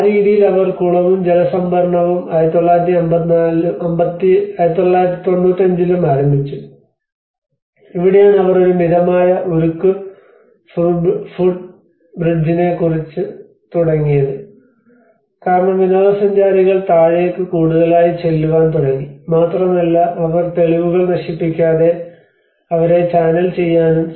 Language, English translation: Malayalam, \ \ So, in that way they started the cistern as well as the water storage and 1995, this is where they started about a mild steel footbridge because the tourists start pumping down and in order to channel them without destroying the evidence that is where they try to keep some kind of access